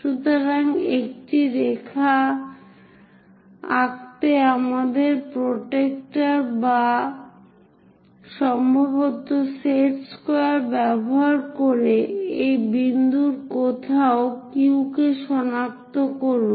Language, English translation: Bengali, So, use our protractor or perhaps a squares to draw a line, locate this point somewhere Q